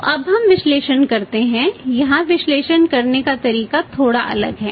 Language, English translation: Hindi, So, now let us make the analysis here the method of making analysis is little different making analysis little different